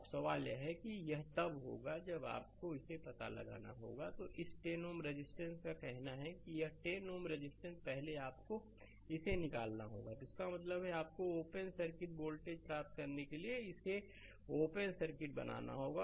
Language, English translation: Hindi, And this voltage is given 20 volt now question is when it will be your you have to find out, then this 10 ohm resistance say this 10 ohm resistance first you have to remove it; that means, you have to make it open circuit to get the open circuit voltage uses Thevenin voltage